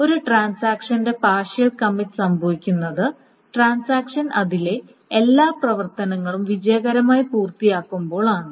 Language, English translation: Malayalam, A partial commit for a transaction happens when the transaction has finished all the operations in it successfully